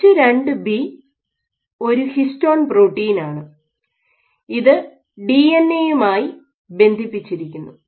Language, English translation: Malayalam, So, H2B is a histone protein which is bind, which is not bind to the DNA